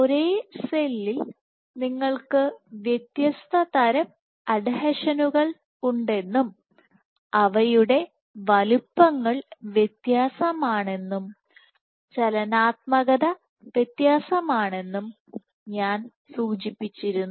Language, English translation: Malayalam, So, I also mentioned that in the same cell you have different types of adhesions, their sizes are different the dynamics is different